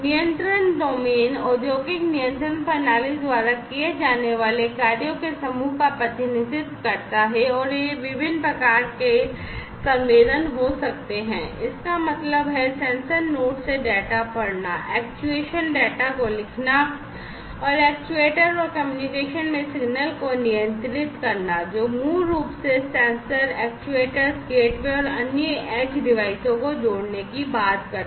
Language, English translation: Hindi, The control domain represents the set of functions that are performed by the industrial control system and these could be of different types sensing; that means, reading the data from the sensor nodes, actuation writing data and controlling signals into an actuator and communication, which basically talks about connecting the sensors, actuators, gateways, and other edge devices